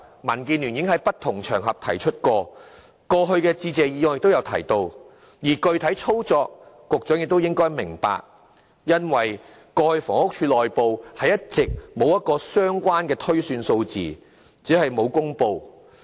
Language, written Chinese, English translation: Cantonese, 民建聯已在不同場合提出過這個要求，在過去的致謝議案亦有提到，在具體操作方面，局長亦應明白因為過去房屋署內部一直進行相關的推算，只是沒有公布數字而已。, DAB had voiced our such a demand on various occasions as well as in the motions of thanks in the past . As to the specific operation involved the Secretary should also be mindful of the ongoing relevant projections conducted internally only that the figures were never made public